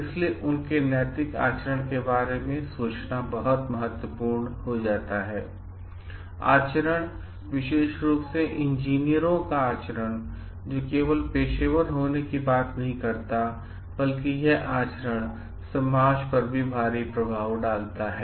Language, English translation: Hindi, So, it becomes very important to think about their ethical conducts as their conduct, specifically the conduct of engineers are not just a matter of professional conduct, but it lay huge impact on society also